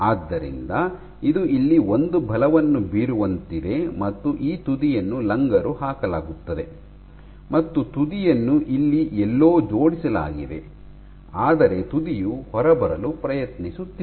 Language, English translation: Kannada, So, this end is anchored and your tip is trying to come off, tip has gotten attached somewhere here and the tip is trying to come off